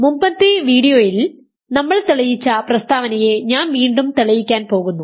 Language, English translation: Malayalam, So, I am going to reprove the statement that we proved in a previous video